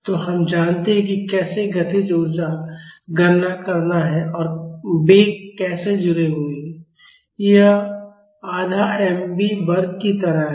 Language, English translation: Hindi, So, we know how to calculate how a kinetic energy and velocity are connected it is like half mv square right